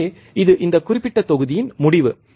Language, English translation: Tamil, So, this is the end of this particular module